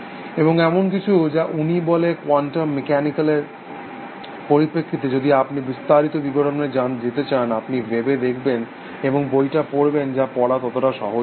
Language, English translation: Bengali, And that is something he says respective quantum mechanical, if you want to go into the details, you should look up the web, and read his book essentially, which is not so easy to read